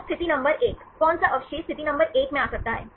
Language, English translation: Hindi, So, position number 1, which residue can come in position number 1